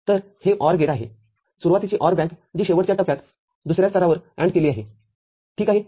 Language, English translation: Marathi, So, this is OR gates, OR banks in the beginning which is ANDed in the final stage second level, ok